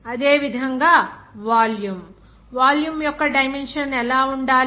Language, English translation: Telugu, And similarly, volume what should be the dimension of volume